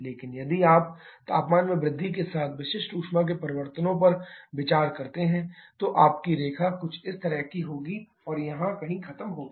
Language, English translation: Hindi, But if you Consider the changes specific heat with increase in temperature then your line will be somewhat like this and finishes of somewhere here